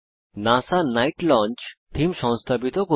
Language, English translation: Bengali, * Install the theme NASA night launch